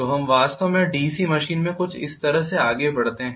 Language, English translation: Hindi, So let us actually proceeds somewhat like this in a DC machine